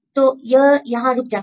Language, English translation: Hindi, So, this stops here